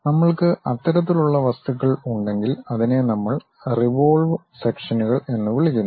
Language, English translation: Malayalam, If we are having that kind of objects, we call that as revolve sections